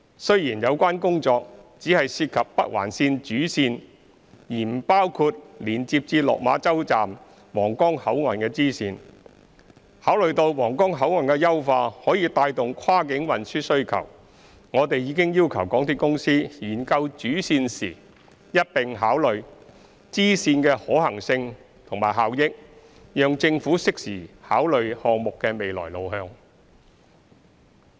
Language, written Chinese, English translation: Cantonese, 雖然有關工作只涉及北環綫主線而不包括連接至落馬洲站/皇崗口岸的支線，但考慮到皇崗口岸的優化可帶動跨境運輸需求，我們已要求港鐵公司研究主線時一併考量支線的可行性及效益，讓政府適時考慮項目的未來路向。, As the relevant work only involves the main line of the Northern Link it does not include the bifurcation connecting the Lok Ma ChauHuanggang Port . However given that the improvement works of the Huanggang Port can fuel the demand for cross - boundary transport we have requested MTRCL to look into the feasibility and effectiveness of the addition of the bifurcation in the study of the main line so as to allow the Government to consider the way forward on a timely basis